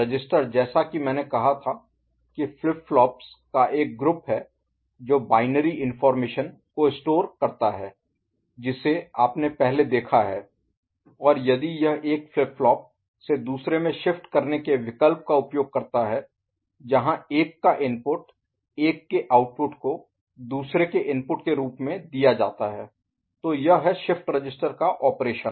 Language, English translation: Hindi, Register as I said is a group of flip flops which store binary information that you have seen before and if it uses shifting option from one flip flop to another where input of one is made output of one is made as input of the other; so that is shift register operation ok